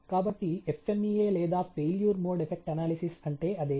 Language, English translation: Telugu, So, that is what FMEA of a failure mode effect analysis these about